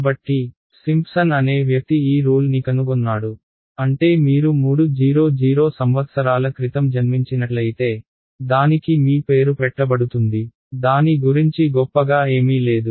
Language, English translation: Telugu, So, some person by the name of Simpson discovered this rule, I mean if you were born 300 years ago, it would be named after you right; it is nothing very great about it